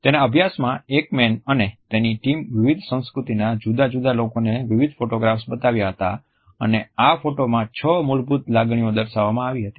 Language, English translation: Gujarati, In his studies Ekman and his team, had showed a series of photographs to various people who belong to different cultures and these photos depicted six basic emotions